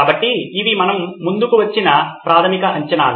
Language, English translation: Telugu, So these are the basic assumptions we’ve come up with